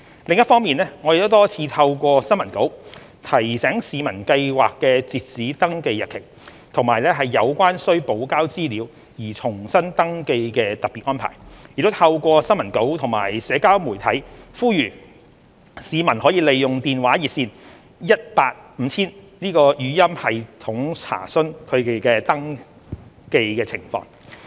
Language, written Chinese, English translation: Cantonese, 另一方面，我們多次透過新聞稿提醒市民計劃的截止登記日期，以及有關須補交資料而重新登記的特別安排，亦透過新聞稿及社交媒體呼籲市民可利用電話熱線 18,5000 的語音系統查詢其登記情況。, Moreover we have repeatedly drawn public attention to the registration deadline of the Scheme and the special arrangement on providing supplementary information by resubmissions through a number of press releases . The public were also reminded through press releases and social media that they could check their registration status through the interactive voice response system of the hotline 18 5000